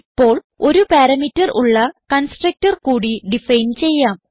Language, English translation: Malayalam, Now let us define a constructor with no parameter